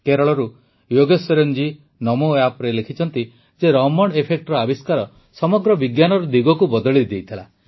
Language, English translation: Odia, Yogeshwaran ji from Kerala has written on NamoApp that the discovery of Raman Effect had changed the direction of science in its entirety